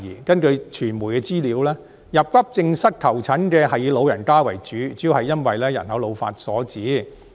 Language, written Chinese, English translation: Cantonese, 根據傳媒的資料，到急症室求診的人是以老人家為主，主要是因為人口老化所致。, According to media information those who seek treatment at Accident and Emergency Departments are mostly elderly people and the main cause is population ageing